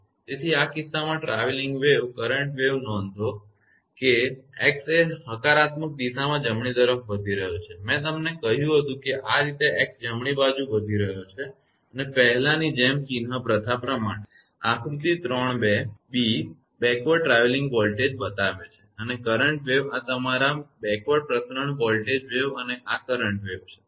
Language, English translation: Gujarati, So, in this case the travelling wave current wave note that x is increasing to the right in the positive direction I told you this way x is increasing right and as before according to the sign convention; figure 3 b shows backward travelling voltage and current wave this is backward your propagation voltage wave and this is current wave right